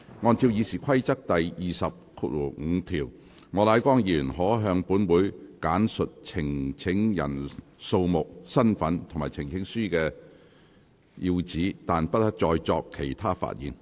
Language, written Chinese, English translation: Cantonese, 按照《議事規則》第205條，莫乃光議員可向本會簡述呈請人數目、身份，以及呈請書的要旨，但不得再作其他發言。, Under RoP 205 Mr Charles Peter MOK may not make a speech beyond a summary statement of the number and description of the petitioners and the substance of the petition